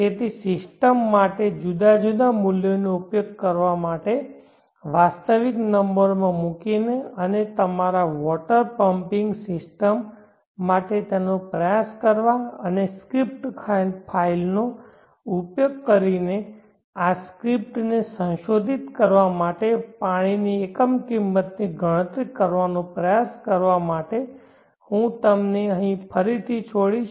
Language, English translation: Gujarati, So I will leave it to you here again for you to experiment where the different values for the system put in realistic numbers and try it for your water pumping system and try to calculate the unit cost of water using the script file and modifying this script file I will share this script file with you in the resources section